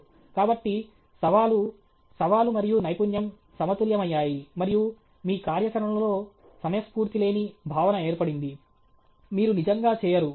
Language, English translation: Telugu, So, the challenge, the challenge and the skill got balanced, and a sense of timelessness set in your activity; you really don’t…